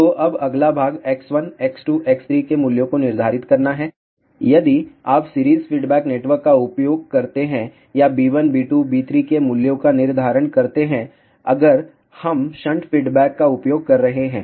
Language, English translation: Hindi, So, now the next part is to determine the values of X 1, X 2, X 3; if you use series feedback network or determine the values of B 1, B 2, B3; if we are using shunt feedback